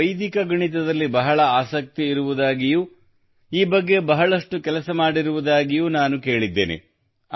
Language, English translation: Kannada, I have heard that you are very interested in Vedic Maths; you do a lot